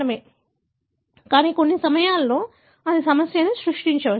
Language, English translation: Telugu, But, at times it can create problem